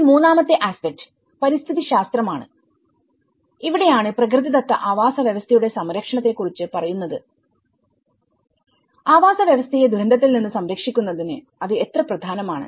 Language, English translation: Malayalam, Then, the third aspect is the ecology and this is where the conservation of the natural ecosystem, how important is it, in order to protect the habitats from the disasters